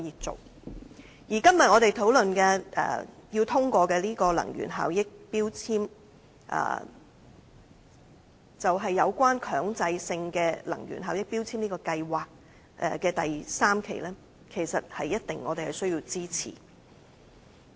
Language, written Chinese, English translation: Cantonese, 至於我們今天討論有關能源標籤的決議案，是強制性能源效益標籤計劃的第三階段，我們必定要支持。, As for the resolution relating to energy labels under discussion today it is the third phase of the Mandatory Energy Efficiency Labelling Scheme MEELS and we must render it our support